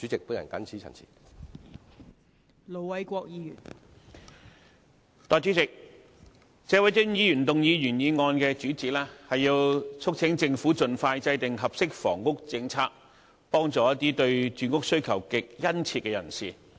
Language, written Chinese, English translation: Cantonese, 代理主席，謝偉俊議員動議原議案的主旨，是要促請政府盡快制訂合適房屋政策，幫助一些對住屋需求極殷切的人士。, Deputy President the main purpose of the original motion moved by Mr Paul TSE is to urge the Government to expeditiously formulate an appropriate housing policy to help people who are in desperate need of housing